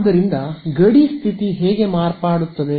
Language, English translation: Kannada, So, how will this boundary condition get modified